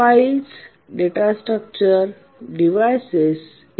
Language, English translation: Marathi, So, files, data structures, devices, etc